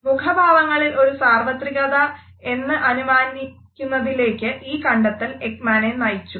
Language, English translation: Malayalam, It led him to believe that there is a universality in our facial expressions